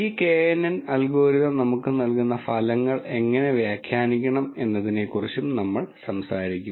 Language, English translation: Malayalam, And we will also talk about how to interpret the results that this knn algorithm gives to us